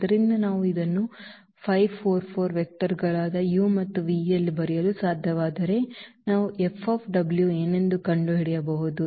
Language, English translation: Kannada, So, if we can write down this 5 4 4 in terms of the vectors u and v then we can find out what is the F of w